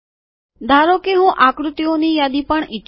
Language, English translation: Gujarati, So suppose I want list of figures also